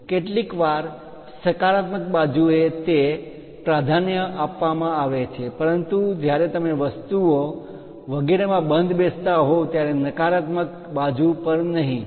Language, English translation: Gujarati, Sometimes on positive side it is prefer, but not on the negative side when you want to fit the things and so on